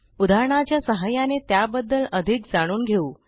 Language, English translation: Marathi, Let us learn more about it through an example